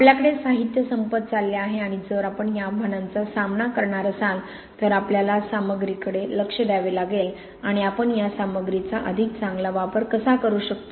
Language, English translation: Marathi, We are running out of materials and if we are going to tackle these challenges we have to look to the materials and how we can use these materials better